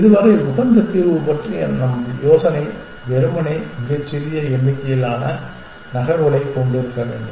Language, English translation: Tamil, So far, our idea of optimal solution is simply to have a smallest number of moves essentially